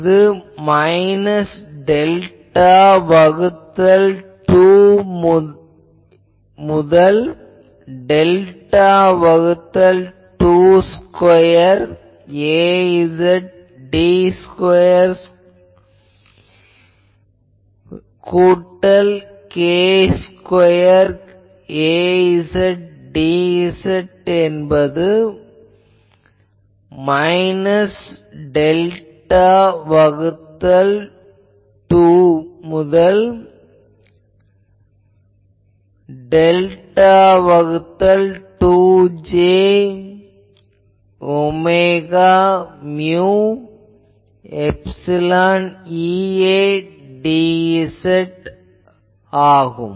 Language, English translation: Tamil, So, we are integrating it minus delta by 2 to delta by 2 square A z d z square plus k square A z d z is equal to minus delta by 2 plus delta by 2 j omega mu epsilon E A dz ok